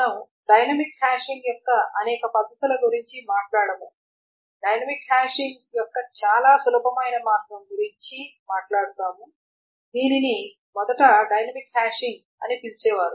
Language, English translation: Telugu, We will not talk about many methods of dynamic hashing that we will talk about one very simple way of dynamic hashing that is called, it was originally just called dynamic hashing